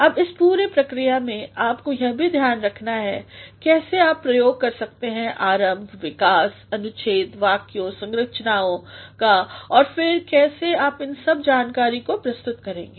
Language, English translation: Hindi, Now, during this entire process, you also have to take into consideration how you can make use of beginning, developing, paragraph, sentences, structures and then how you are going to present that information